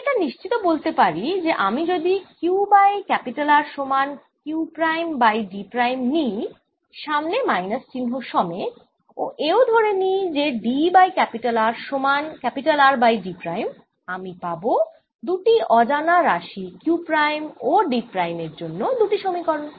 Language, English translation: Bengali, i can ensure that if i take q over r to be equal to q prime over d prime, with the minus sign in front, and d over r to be equal to r over d prime, i have got two unknowns, q prime and d prime, and i have got two equations